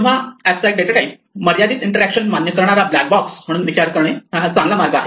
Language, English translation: Marathi, So, good way to think of an abstract datatype is as a black box which allows limited interaction